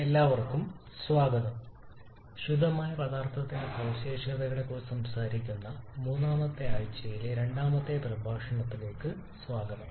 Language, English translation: Malayalam, Hello everyone, welcome to the second lecture of our week number 3 where we are talking about the properties of pure substance